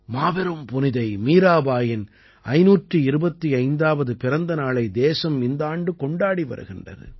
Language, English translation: Tamil, This year the country is celebrating the 525th birth anniversary of the great saint Mirabai